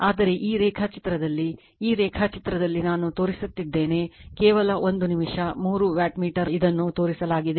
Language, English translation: Kannada, But in this diagram , in this diagram I have shown just one minute I have , shown this is your , three wattmeters , right